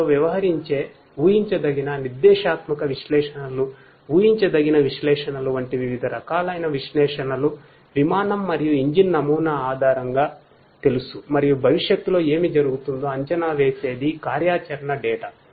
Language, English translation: Telugu, Different types of analytics like the predictive, prescriptive, analytics, predictive analytics dealing with you know based on the aircraft and engine models and the operational data predicting about what might be happening in the future